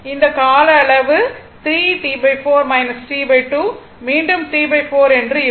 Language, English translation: Tamil, This duration also 3 T by 4 minus t by 2 will be again T by 4 same thing right